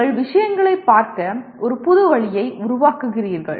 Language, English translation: Tamil, You are creating a new way of looking at things